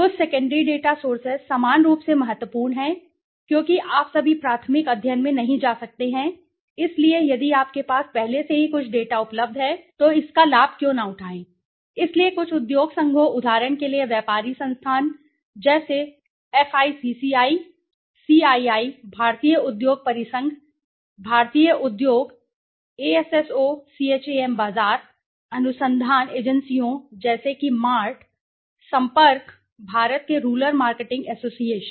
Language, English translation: Hindi, Okay, some of the secondary data sources, secondary data sources are equally important because all the while you cannot go into a primary study so if there is some data available already with you then why not avail it right, so they some of the industry associations are like for example the traders institutions like FICCI right, CII Indian industry confederation, Indian Industries ASSOCHAM market research agencies like MART right, Sampark, Rural marketing association of India